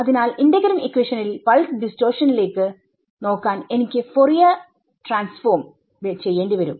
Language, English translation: Malayalam, So, in a integral equation and I have to do Fourier transform to look at pulse distortion